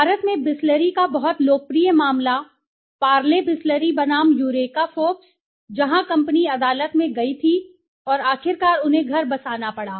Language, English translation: Hindi, The very popular case of Bisleri in India, Parle Bisleri versus the Eureka Forbes, where the company had went to the court and finally they have to settle down, right